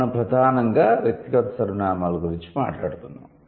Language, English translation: Telugu, And that is what we were primarily talking about personal pronouns